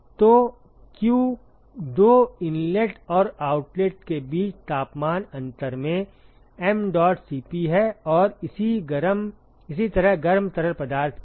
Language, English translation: Hindi, So, q is mdot Cp into the temperature difference between the two inlet and the outlet and similarly for the hot fluid